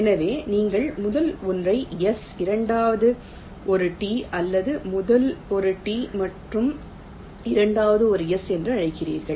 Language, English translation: Tamil, so you call the first one s, second one t, or the first one t and the second one s